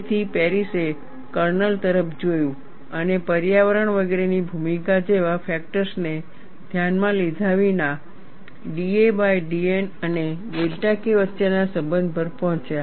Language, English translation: Gujarati, So, Paris looked at the kernel and arrived at a relationship between d a by d N and delta K, without bringing in factors like role of environment etcetera